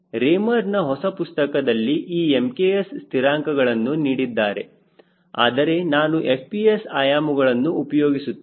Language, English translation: Kannada, the new book of raymer does give equivalent m k s constants, but i will be it using fps units